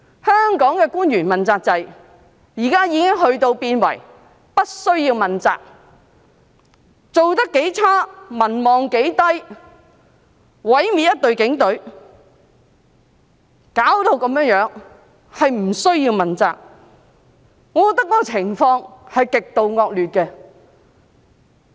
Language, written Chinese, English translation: Cantonese, 香港的問責官員現已變為不需要問責，不管做得多麼差、民望多麼低、毀滅一隊警隊，弄成這樣子，也不需要問責，我覺得情況是極度惡劣的。, At present the officials under the accountability system in Hong Kong no longer need to be held responsible . They do not need to be held responsible no matter how poorly they perform and how low their popularity ratings are; they do not need to be held responsible for ruining the Police Force and reducing it to such a state . I think this situation is really bad